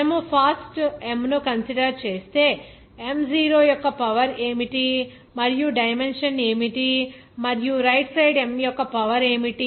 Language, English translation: Telugu, If you are considering fast M, then what the dimension of what is is the power of M 0 and the right inside what is the power of this M here